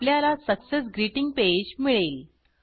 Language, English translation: Marathi, We get a Success Greeting Page